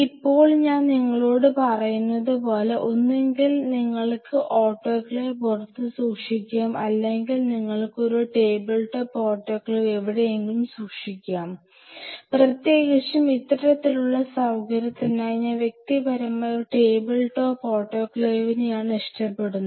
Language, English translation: Malayalam, So, now, as I told you that either you can keep the autoclave outside or you can keep a table top autoclave somewhere out here, especially for this kind of facility which I personally prefer a table top autoclave